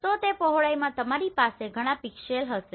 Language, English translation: Gujarati, So in that width you will have several pixels